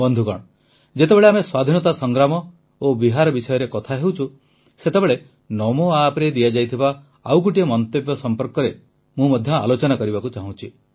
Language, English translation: Odia, as we refer to the Freedom Movement and Bihar, I would like to touch upon another comment made on Namo App